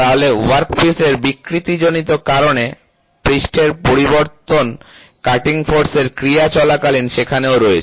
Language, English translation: Bengali, So, that is what the surface variation caused by deformation of the workpiece, during the action of cutting force is also there